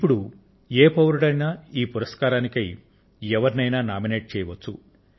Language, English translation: Telugu, Now any citizen can nominate any person in our country